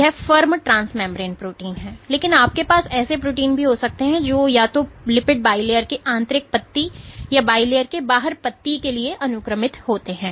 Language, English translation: Hindi, So, this is firm of a transmembrane protein, but you can have proteins which are either sequestered to the inner leaf of the lipid bilayer or the outer leaf of the bilayer ok